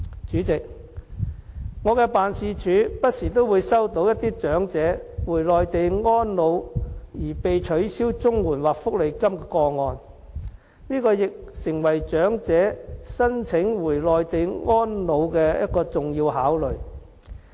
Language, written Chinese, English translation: Cantonese, 主席，我的辦事處不時收到長者回內地安老而被取消綜合社會保障援助或福利金的個案，這亦成為長者申請回內地安老的重要考慮。, President my office has dealt with cases relating to the cancellation of Comprehensive Social Security Assistance CSSA or cash benefit of elderly people who have migrated to the Mainland for retirement . This issue have become the important consideration for elderly people who intend to apply for settlement on the Mainland upon retirement